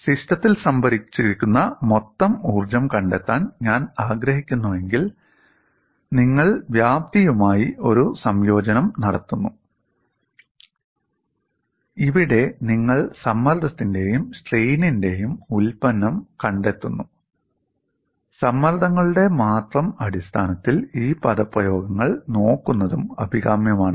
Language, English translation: Malayalam, And If I want to find out the total energy stored in the system, you do the integration over the volume, here you find product of stress and strain, it is also desirable to look at these expressions in terms of stresses alone